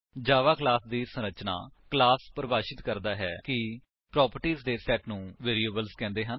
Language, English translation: Punjabi, Structure of a Java Class A class defines: * A set of properties called variables